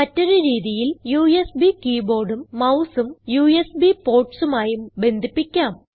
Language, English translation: Malayalam, Alternately, you can connect the USB keyboard and mouse to any of the USB ports